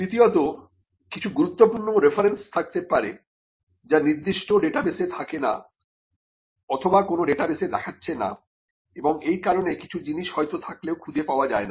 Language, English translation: Bengali, Thirdly, there could be some key references that are missed out in certain databases or which do not throw up in certain databases, and and it could be a reason for missing out something which was already there